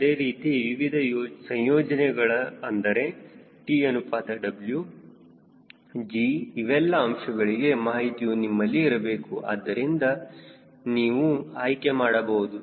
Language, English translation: Kannada, similarly, for different combination of t by w g, all those data should be available with you so that you can select